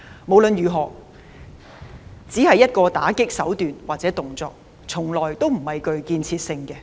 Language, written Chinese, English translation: Cantonese, 無論如何，它只是一種打擊的手段或動作，從來不具建設性。, No matter what it is merely a tactic or gesture of attack which is by no means constructive